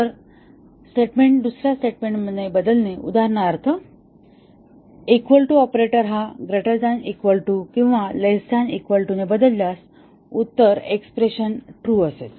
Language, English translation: Marathi, So, replacement of a statement with another statement for example equal to operator with greater than equal to or less than equal to replacement of a expression with a true